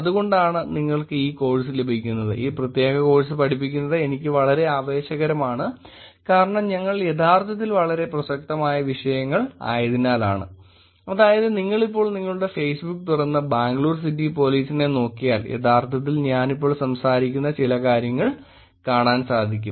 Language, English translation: Malayalam, And that is why you will get, teaching this particular course is actually pretty exciting for me, it is because we are actually looking at topics which are very rather relevant, I mean just open your Facebook now and look at Bangalore City Police you will actually look at some of the things I am talking now